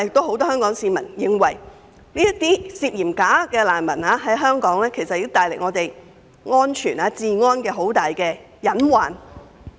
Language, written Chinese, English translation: Cantonese, 很多香港市民均認為，涉嫌屬"假難民"的聲請人對香港的安全及治安構成極大隱患。, Many Hong Kong people are of the view that the suspected bogus refugees have posed enormous hazard to the safety and public order of Hong Kong